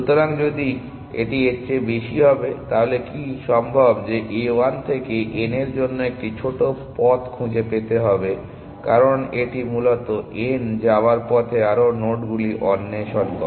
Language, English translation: Bengali, So, if this will be greater than so, is possible that A 1 might find a shorter paths to n because it is explore more nodes on the way to n essentially